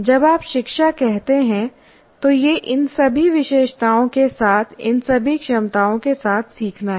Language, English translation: Hindi, That's what we, when you say education, it is a learning with all these features, all these abilities constitutes education